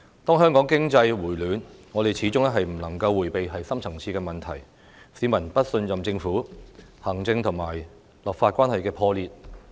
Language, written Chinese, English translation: Cantonese, 當香港經濟回暖，我們始終不能迴避深層次的問題，市民不信任政府，行政和立法關係破裂。, When Hong Kongs economy rebounds we cannot evade the deep - rooted problem that the public do not trust the Government and that the relationship between the Legislature and the Executive Authorities has broken down